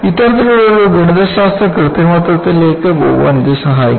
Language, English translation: Malayalam, So, in order to, go to that kind of a mathematical manipulation, this helps